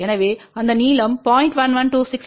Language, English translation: Tamil, So, that length is 0